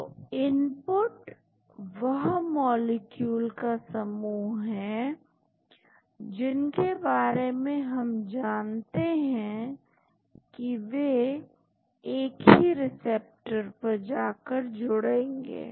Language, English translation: Hindi, So, the input is a set of molecules which are known to bind to the same receptor